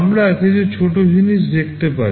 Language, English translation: Bengali, We can see some smaller things